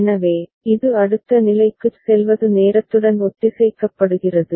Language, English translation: Tamil, So, this going to next state is synchronized with the time